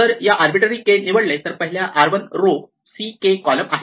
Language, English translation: Marathi, If I just pick an arbitrary k then the first one is has r 1 rows c k columns